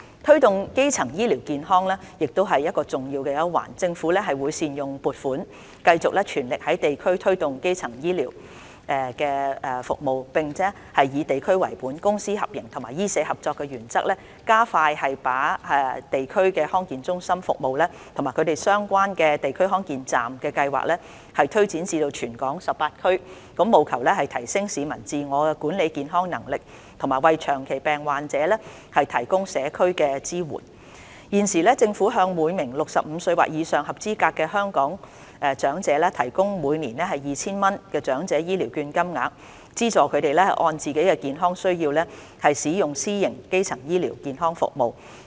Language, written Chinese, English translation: Cantonese, 推動基層醫療健康亦是重要一環。政府會善用撥款，繼續全力在地區推動基層醫療服務，並以地區為本、公私合營及醫社合作為原則，加快把地區康健中心服務及相關的"地區康健站"計劃推展至全港18區，務求提升市民自我管理健康的能力，以及為長期病患者提供社區支援。現時，政府向每名65歲或以上的合資格香港長者提供每年 2,000 元的長者醫療券，資助他們按自己健康需要使用私營基層醫療服務。, The Government will make optimal use of the funding to continue with the endeavour to promote primary health care services at district level and basing on the principle of district - based service public - private partnership and medical - social collaboration expedite the launch of District Health Centre DHC service and the relevant DHC Express Scheme in all 18 districts across Hong Kong in a bid to enhance the publics capability in self‑management of health and provide community support for the chronically ill At present the Government provides eligible elderly persons aged 65 or above with elderly health care vouchers of 2,000 each year to subsidize their use of private primary health care services that suit their health care needs